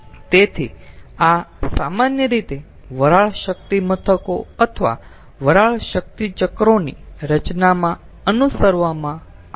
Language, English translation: Gujarati, so this is generally followed in steam power plant or steam power cycle design